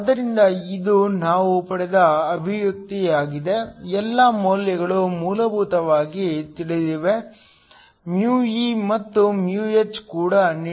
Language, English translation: Kannada, So, this is the expression that we derived, all the values are essentially known e and h are also given